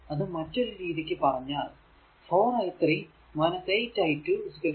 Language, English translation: Malayalam, You will get 2 i 1 plus 8 i 2 is equal to 5, this is equation 5